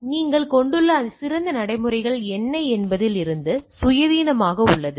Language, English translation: Tamil, So, it is independent of what the best practices you are having